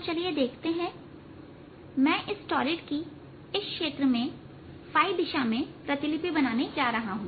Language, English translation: Hindi, so let us see, i am going to map this torrid with this b field going around in the phi direction